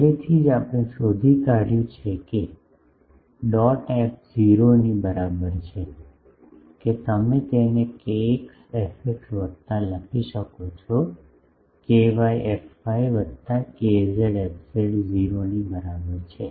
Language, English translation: Gujarati, Already, we have found that k dot f is equal to 0 means, that you can write it in terms of kx fx plus sorry, ky fy plus kz fz is equal to 0